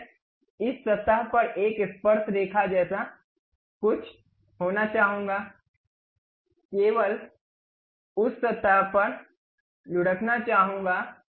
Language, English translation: Hindi, Now, I would like to have something like tangent to this surface, rolling on that surface only I would like to have